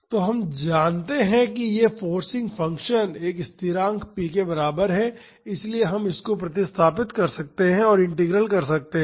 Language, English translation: Hindi, So, we know that this forcing function is equal to a constant p naught so, we can substitute and carry out this integral